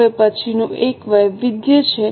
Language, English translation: Gujarati, Now next one is variance